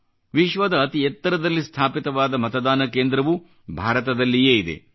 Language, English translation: Kannada, The world's highest located polling station too, is in India